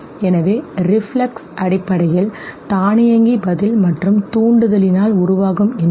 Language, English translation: Tamil, So reflex basically the automatic response and stimulus connection it is formed